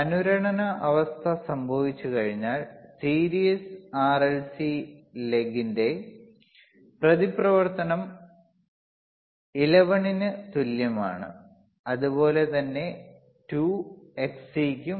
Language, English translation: Malayalam, So, oOnce the resonant condition occurs when the resonance, reactance of series RLC leg are equal to xXl equals 2 xcXC alright